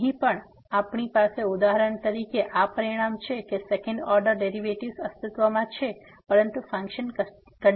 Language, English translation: Gujarati, So, here also we have for example, this result that the second order partial derivatives exists, but the function is not continuous